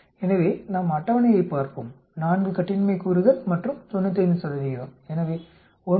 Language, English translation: Tamil, So let us look at the table, 4 degrees of freedom and 95 percent so we get 9